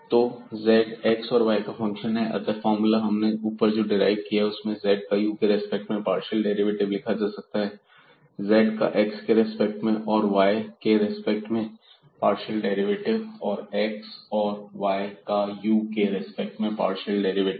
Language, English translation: Hindi, So, with the formula derived above we have a partial derivative of z with respect to u in terms of the partial derivatives of z with respect to x and y and the partial derivative of x with respect to u partial derivative of y with respect to u again